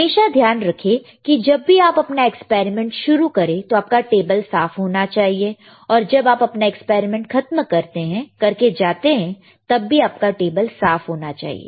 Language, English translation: Hindi, Always remember, when you start the experiment, your table should be clean; when you leave the experiment your table should be clean, right